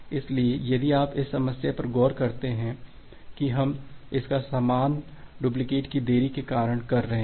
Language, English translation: Hindi, So, if you look into the problem that we are facing it is because of the delayed duplicates